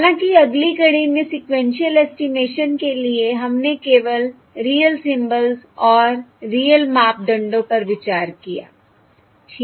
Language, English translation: Hindi, However, in the, in the framework for sequel sequential estimation, we considered only um, real symbols and real parameters